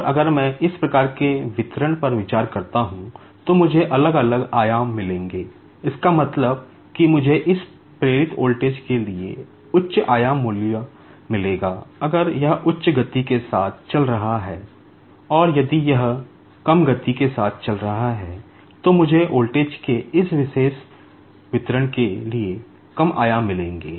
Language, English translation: Hindi, And, if I consider this type of distribution, I will be getting the different amplitudes, that means, I will be getting high amplitude value for this induced voltage, if it is moving with a high speed, and if it is moving with low speed, then I will be getting low amplitude for this particular distribution of voltage